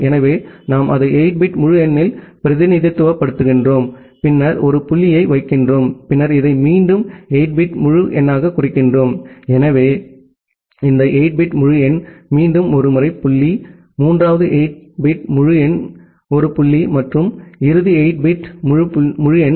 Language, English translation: Tamil, So, we represent it in a 8 bit integer, and then put a dot, then again represent this as 8 bit integer, so this 8 bit integer, again a dot, the third 8 bit integer a dot and a final 8 bit integer